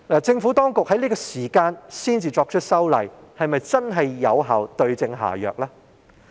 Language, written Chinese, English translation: Cantonese, 政府當局在這個時候才作出修例，是否真的可對症下藥呢？, Has the Administration really hit the nail on the head by amending the legislation concerned now?